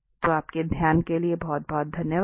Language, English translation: Hindi, So, thank you very much for your attention